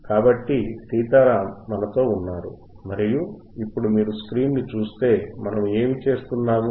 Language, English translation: Telugu, So, Sitaram is with us and now if you see the screen if you see the screen, what we are doing